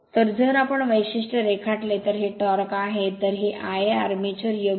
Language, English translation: Marathi, So, if we draw the characteristic this is the torque, this is I a armature correct